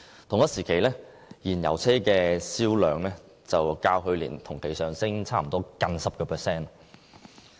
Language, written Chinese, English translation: Cantonese, 同一時期，燃油車銷量較去年同期上升差不多 10%。, During the same period however the sale of fuel - engined vehicles posted a 10 % year - on - year increase